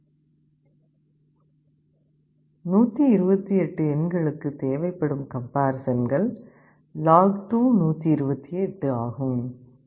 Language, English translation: Tamil, You see for 128 it will need log2128 comparisons